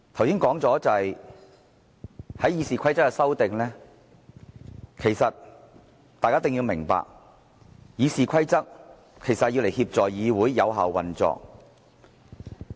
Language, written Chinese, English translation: Cantonese, 剛才說到《議事規則》的修訂，其實大家一定要明白，《議事規則》是用來協助議會有效運作的。, I was referring to the amendments to RoP . In fact Members must understand that RoP serve to facilitate the Councils effective operation